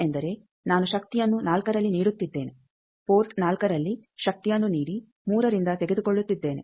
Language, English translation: Kannada, Power is going to port 1 power is going to port 4 nothing is also coming to 3